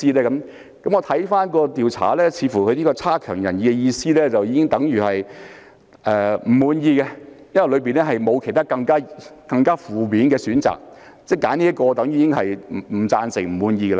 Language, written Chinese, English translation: Cantonese, 如果看回調查，似乎"差強人意"的意思已經等於"不滿意"，因為調查當中沒有其他更負面的選項，所以選擇"差強人意"便已經等於"不贊成"、"不滿意"。, What is it then? . Looking back on the survey it seems that unsatisfactory already means dissatisfying because there are no other more negative options in the survey . So the option unsatisfactory is already equivalent to disapproved or dissatisfying